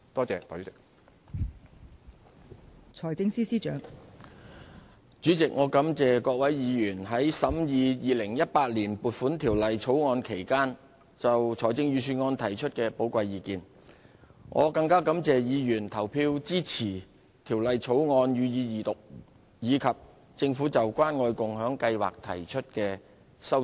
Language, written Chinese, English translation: Cantonese, 代理主席，我感謝各位委員在審議《2018年撥款條例草案》期間就財政預算案提出的寶貴意見，更感謝他們投票支持《條例草案》予以二讀和政府就關愛共享計劃提出的修正案。, Deputy Chairman I would like to thank Members for expressing their valuable views on the Budget during their scrutiny of the Appropriation Bill 2018 the Bill . I am even more grateful to them for voting in favour of the Second Reading of the Bill and the amendments moved by the Government in respect of the Caring and Sharing Scheme